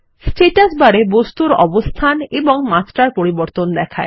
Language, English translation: Bengali, The Status bar shows the change in position and dimension of the object